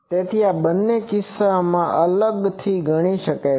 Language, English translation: Gujarati, So, these two cases can be treated separately